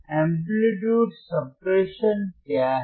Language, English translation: Hindi, What is amplitude suppression